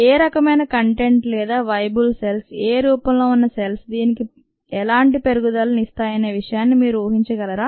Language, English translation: Telugu, can you guess what kind of ah content or viable cells, viable cells at what form would give raise to this